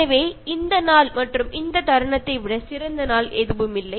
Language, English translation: Tamil, So, there is no day is better day then this day and this moment